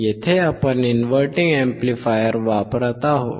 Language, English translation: Marathi, Here we are using inverting amplifier